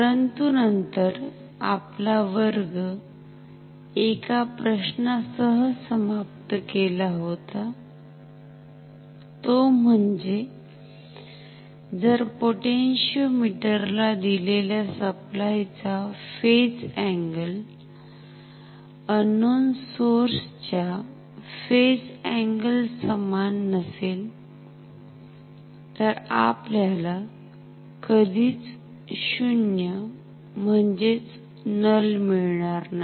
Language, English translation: Marathi, But then we have ended our class with a question that if the supply to the potentiometer does not have same phase angle with the unknown source, then we cannot get the null at all